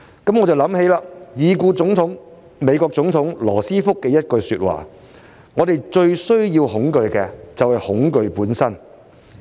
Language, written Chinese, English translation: Cantonese, 這不禁令我想起已故美國總統羅斯福的一句說話："我們最需要恐懼的，是恐懼本身"。, This reminds me of a quote from the late United States President Franklin ROOSEVELT The only thing we have to fear is fear itself